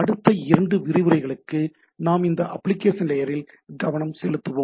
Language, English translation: Tamil, We will be for next couple of lectures we will be concentrating on these application layers